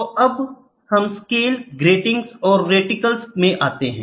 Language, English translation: Hindi, So now let us get into Scales, Gratings and Reticles